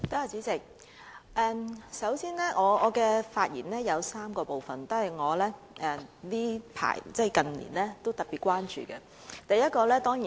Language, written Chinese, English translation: Cantonese, 主席，我的發言包括3部分，是我近年特別關注的議題。, President my three - part speech will discuss certain issues of particular concern to me in recent years